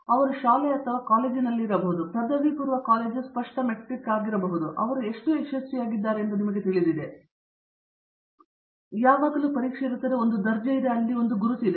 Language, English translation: Kannada, I think may be in school or college, undergraduate college there is clear metric, on you know how well they or how successful they are, there is always an exam, there is a grade and there is a mark and so on